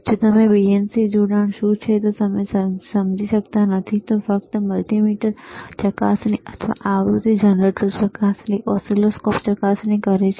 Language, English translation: Gujarati, iIf you do n ot understand what is BNC connector is, just say multimeter probe or frequency generator probe, oscilloscope probe, right